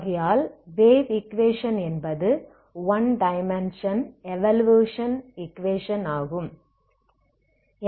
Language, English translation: Tamil, Now what is the, this is the equation this is the wave equation one dimensional wave equation